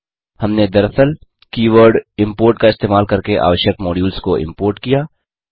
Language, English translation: Hindi, We actually imported the required modules using the keyword import